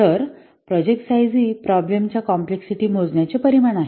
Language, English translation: Marathi, So, project size is a measure of the problem complexity